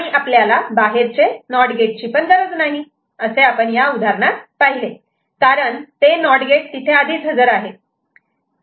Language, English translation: Marathi, And we do not need these external NOT gate, as we had see in this example, because they NOT gate is already present there